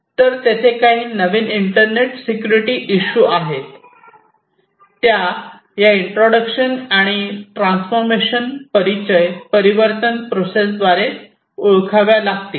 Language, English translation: Marathi, So, there are some new internet security issues that will have to be identified through this introduction and transformation process